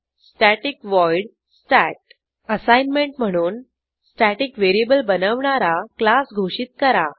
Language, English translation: Marathi, static void stat() As an assignment Create a class that declares a static variable